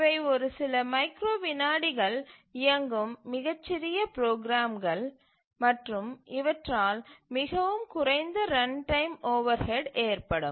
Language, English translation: Tamil, And these are very small programs run for a few microseconds, just few lines of code and incur very less runtime overhead